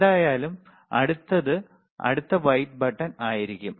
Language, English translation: Malayalam, aAnyway,, the next one would be the next white button